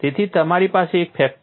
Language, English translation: Gujarati, So, you have a factor 1